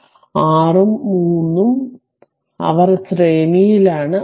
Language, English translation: Malayalam, So, 6 and 3 they are in your series